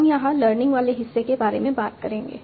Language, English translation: Hindi, So we will talking about the learning part here